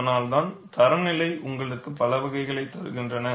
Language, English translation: Tamil, That is why the standards give you, a variety